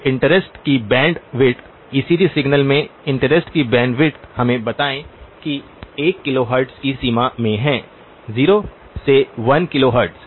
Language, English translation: Hindi, So the bandwidth of interest, bandwidth of interest in the ECG signal let us say is in the range of 1 kilohertz, 0 to 1 kilohertz